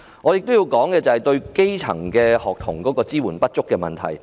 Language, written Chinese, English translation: Cantonese, 我亦要指出政府對基層學童支援不足的問題。, I must also point out that the Government has not provided adequate support for grass - roots students